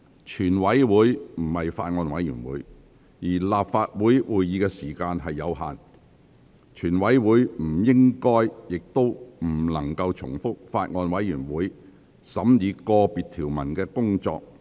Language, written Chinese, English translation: Cantonese, 全體委員會不是法案委員會，而立法會會議的時間有限，全體委員會不應亦不可能重複法案委員會審議個別條文的工作。, The committee of the whole Council is not a Bills Committee and the meeting time of the Legislative Council is limited . The committee should not and cannot repeat the work of the Bills Committee in scrutinizing the Bill clause by clause